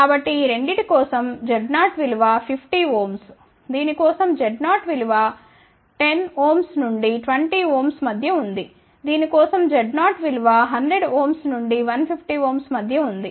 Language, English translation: Telugu, So, z 0 for this two is 50 ohm z 0, for this is 10 to 20 ohm, z 0 for this is between 100 to 150 ohm, ok